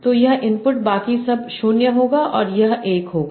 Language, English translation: Hindi, So this input would be everything else at 0, and this will be 1